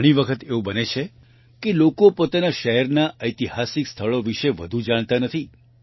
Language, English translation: Gujarati, Many times it happens that people do not know much about the historical places of their own city